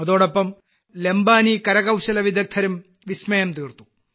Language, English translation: Malayalam, At the same time, the Lambani artisans also did wonders